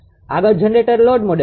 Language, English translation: Gujarati, Next is generate a load model